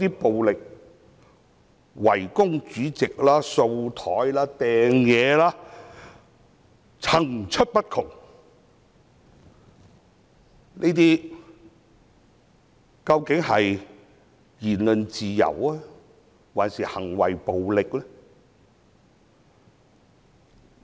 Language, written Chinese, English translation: Cantonese, 暴力圍攻主席、把桌子上的物件推落地上、擲物等，層出不窮，這些究竟是言論自由，還是暴力行為呢？, Besieging the Chairman with violence shoving objects on the desk down on the floor throwing things etc you name it . Are these deeds expressions of free speech or acts of violence?